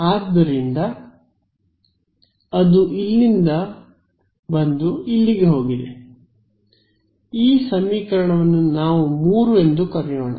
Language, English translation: Kannada, So, let us this just this equation let us call it equation 3 right